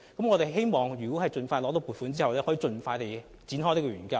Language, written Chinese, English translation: Cantonese, 我們希望在獲得撥款後，盡快展開研究。, We hope the Studies can commence expeditiously after the funding is granted